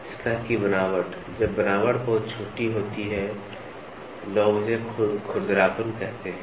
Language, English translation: Hindi, The surface texture, people say when the texturing is very small, they call it as roughness